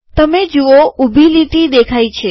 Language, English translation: Gujarati, You see that a vertical line has come